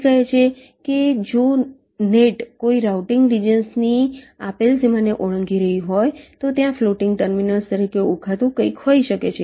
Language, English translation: Gujarati, it says that if a net is crossing the given boundary of a routing region, then there can be something called floating terminals